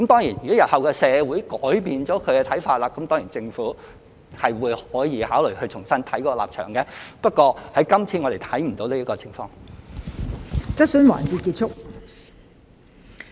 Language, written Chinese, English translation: Cantonese, 如果日後社會改變了看法，政府當然可以考慮重新審視立場，但我們今次看不到有此情況。, If the community changes its views in future the Government can certainly consider re - examining its position but we have not seen such a situation this time